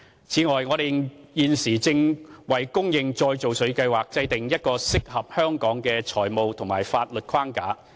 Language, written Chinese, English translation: Cantonese, 此外，我們現正為供應再造水計劃制訂一個適合香港的財務和法律框架。, In addition we are formulating a financial and legal framework―one that is suitable for Hong Kong―for supplying reclaimed water